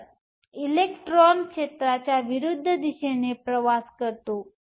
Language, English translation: Marathi, So, the electron travels in the direction opposite to the field